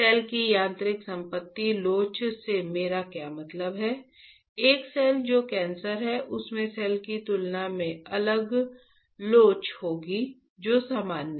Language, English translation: Hindi, What I mean by mechanical property elasticity of the cell would change, a cell which is cancerous would have different elasticity compared to cell which is normal